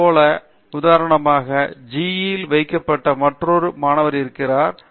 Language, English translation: Tamil, There is another student who got placed in GE, for example